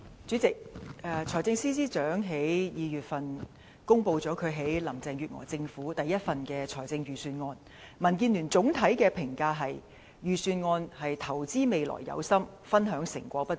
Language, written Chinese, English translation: Cantonese, 主席，財政司司長在2月公布他在林鄭月娥政府中的首份財政預算案後，民主建港協進聯盟對預算案的總體評價是"投資未來有心，分享成果不足"。, President after the Financial Secretary announced in February his maiden Budget in Carrie LAMs Government the overall comment of the Democratic Alliance for the Betterment and Progress of Hong Kong DAB on the Budget is that it shows commitment to invest for the future but is ineffective in sharing fruits of success